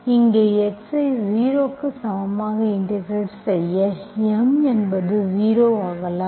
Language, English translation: Tamil, Once you put x is equal to 0, M may become 0